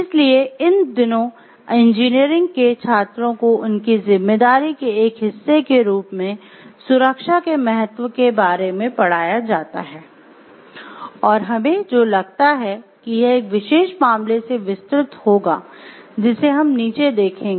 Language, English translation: Hindi, So, these days engineering students are taught about the importance of safety as a part of their responsibility, and what we feel about this will be elaborated by the particular case that we see below